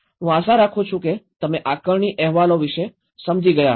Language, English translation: Gujarati, I hope you understand about this assessment reports